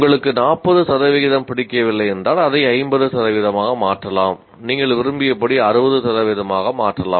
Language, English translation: Tamil, If you don't like 40% you can make it 50%, you can make it 60% as you wish